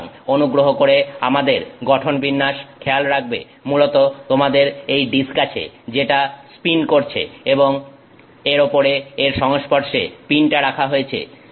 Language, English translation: Bengali, So, please remember our orientation is you essentially have the disk which is pinning and on top of it the pin is put in contact with it